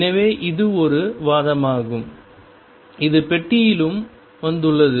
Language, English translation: Tamil, So, this is an argument which is also came inbox